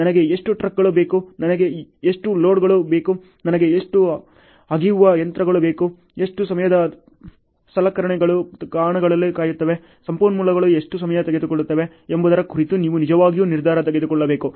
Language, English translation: Kannada, You have to really take decision making on how many trucks I need, how many loaders I need, how many excavators I need, those decision on how much time equipment’s are waiting in the spots, how much time the resources are taking, then can I cut down the duration here and so on